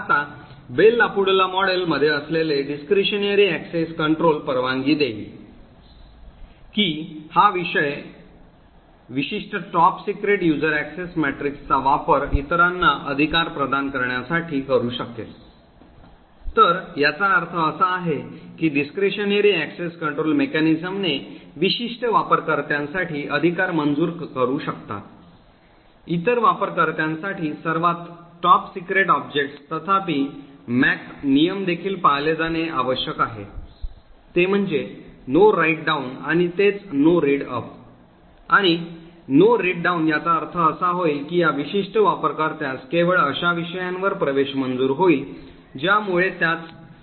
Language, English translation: Marathi, Now the discretionary access control present in the Bell LaPadula model would permit that this particular top secret user could use the access matrix to grant rights to other, so what this means, with the discretionary access control mechanism is particular user can grant rights for the top secret objects to other users, however since the MAC rules also have to be met that is the No Write Down and that is the No Read Up and No Write Down it would mean that this particular user get only grant access to subjects which are at the same top secret level